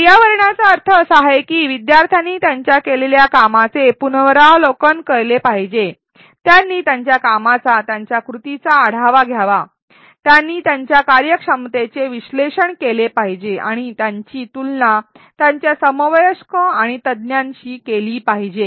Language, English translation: Marathi, What reflection means is that learners should review what they have done, they should review their performance, their actions, there should they should analyze their performance and compare it with their peers and with experts